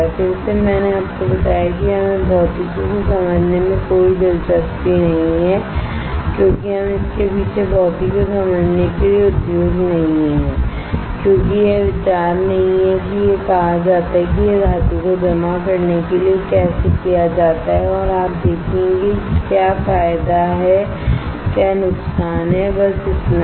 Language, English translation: Hindi, Again, I told you we are not interested in understanding the physics behind it we are not industry understanding the physics behind it because that is not the idea is said this is how it is done depositing off metal and you will see what is the advantage disadvantage that is it